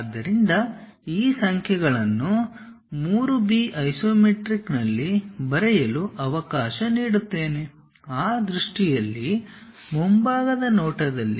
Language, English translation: Kannada, So, let me write these numbers 3 B in isometric is equal to 3 B in that view, in the front view